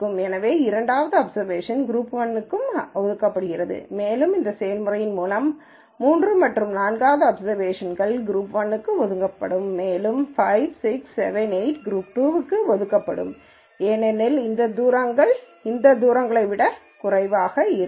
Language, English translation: Tamil, So, the second observation is also assigned to group 1 and you will notice through this process a third and fourth will be assigned to group 1 and 5 6 7 8 will be assigned to group 2 because these distances are less than these distances